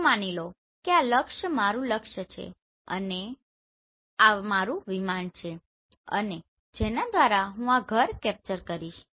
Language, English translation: Gujarati, So assuming this is my target and this is my aircraft and through which I am going to capture this house